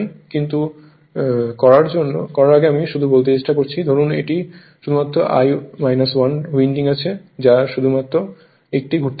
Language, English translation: Bengali, Before doing anything I am just trying to tell you suppose this is only 1 1 winding is there that you can see only 1 winding